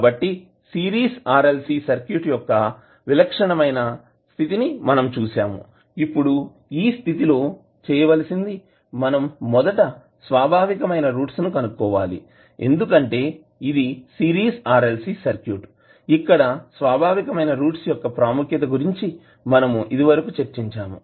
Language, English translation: Telugu, So we see the typical case of Series RLC Circuit, now in this case what we have to do we have to first find out the characteristic roots because it is series (())(06:57) RLC circuit we discussed what will be the value of the characteristic roots